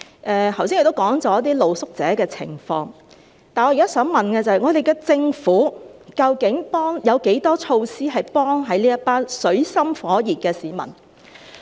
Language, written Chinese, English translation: Cantonese, 我剛才已提到露宿者的情況，但我現在想問的是，我們的政府究竟有多少措施，能協助這一群處於水深火熱的市民？, But my question now is How many measures does our Government actually have to assist this group of people who are in dire straits?